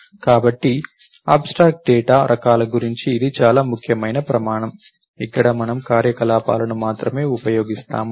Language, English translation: Telugu, So, this is the most important criteria about abstract data types, where we use only the operations